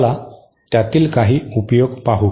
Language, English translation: Marathi, Let us see some of the uses